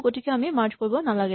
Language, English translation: Assamese, So, we do not need to merge